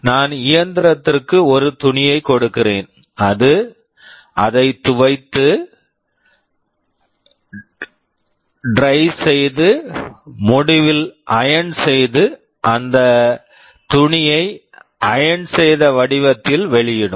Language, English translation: Tamil, I give the machine a cloth, it will wash it, dry it, iron it, and output that cloth in the ironed form